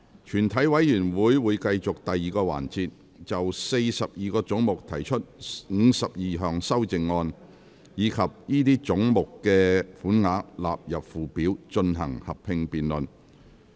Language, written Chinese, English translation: Cantonese, 全體委員會會繼續第2個環節，就42個總目提出的52項修正案，以及這些總目的款額納入附表，進行合併辯論。, The committee will continue with the second sessions joint debate on the 52 amendments to the 42 heads and the sums for these heads standing part of the Schedule